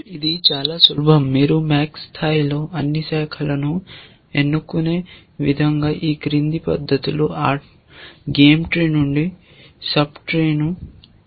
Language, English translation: Telugu, It is very simple, you extract a sub tree from the game tree in the following fashion that at max level choose all branches